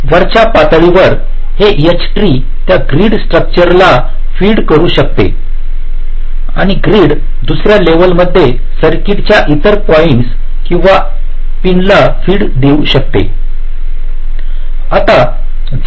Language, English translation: Marathi, this h tree can feed that grid structure and the grid can, in the second level, use to feed the other points or other pins of the circuit